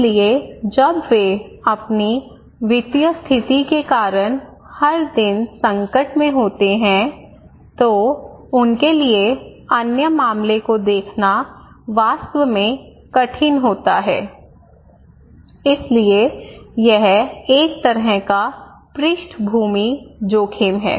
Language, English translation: Hindi, So, when they are every day at crisis because of their financial condition, it is really tough for them to look into other matter okay, so it is a kind of background risk